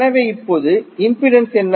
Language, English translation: Tamil, So, what is the impedance now